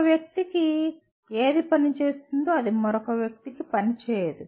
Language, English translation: Telugu, What works for one person will not work for another person